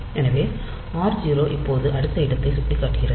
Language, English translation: Tamil, So, r 0 is now pointing to the next location